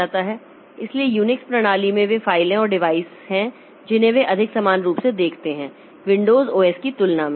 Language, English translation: Hindi, So, in uniqueix system, the files and devices they are looked in a more uniform fashion compared to, say, Windows OS